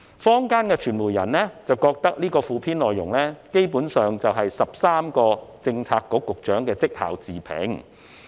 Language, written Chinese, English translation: Cantonese, 坊間的傳媒人認為，附篇內容基本上是13位政策局局長的績效自評。, Media practitioners in the community are of the view that the Supplement is essentially the self - appraisals of the 13 Policy Bureau Directors